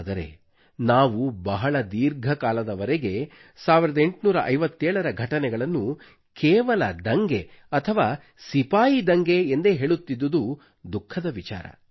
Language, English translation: Kannada, It is indeed sad that we kept on calling the events of 1857 only as a rebellion or a soldiers' mutiny for a very long time